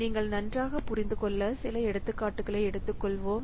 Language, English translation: Tamil, We will take a few examples so that you can better understand